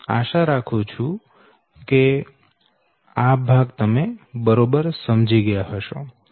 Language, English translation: Gujarati, i hope this part you have understood right